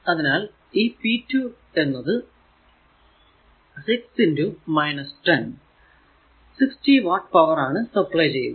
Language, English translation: Malayalam, So, in that case p 2 will be 6 into minus 10 minus 60 watt power supplied